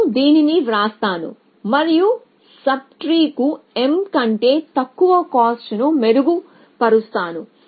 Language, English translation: Telugu, So, I will just write this and propagate improve cost to sub tree below m